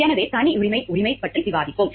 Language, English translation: Tamil, So, we will discuss about privacy right